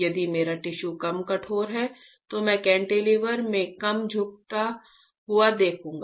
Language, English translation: Hindi, If my tissue is less stiff, I will see less bending in the cantilever